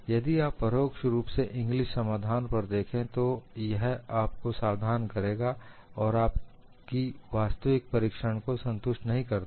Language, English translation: Hindi, If you directly look at Inglis solution, you will only get alarmed and it does not satisfy your actual observation